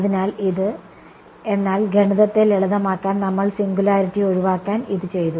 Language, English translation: Malayalam, So, this, but to make math simpler we had done this to avoid singularity